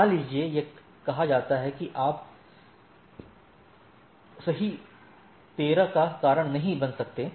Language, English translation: Hindi, Suppose it is say that you cannot cause AS 13 right